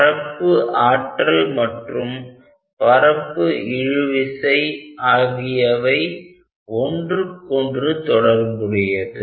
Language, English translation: Tamil, So, surface tension and surface energy are quiet related